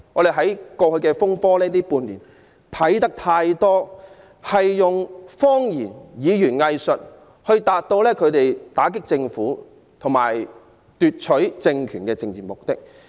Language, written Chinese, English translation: Cantonese, 在過去半年的修例風波中，他們多次以謊言及語言"偽術"達到打擊政府和奪取政權的政治目的。, Throughout the disturbances arising from the proposed legislative amendments in the past six months they have repeatedly lied and used hypocritical rhetoric to achieve their political objectives of attacking the Government and snatching political power